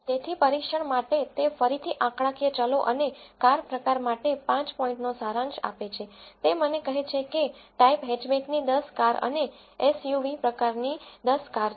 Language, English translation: Gujarati, So, for the test it again returns a five point summary for the numerical variables and for the car type it tells me that there are 10 cars of type hatchback and 10 cars of the type SUV